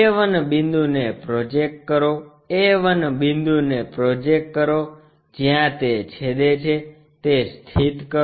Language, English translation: Gujarati, Project a 1 point, project a 1 point where it is intersecting locate that